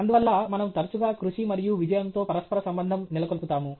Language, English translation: Telugu, Therefore we often correlate hard work with success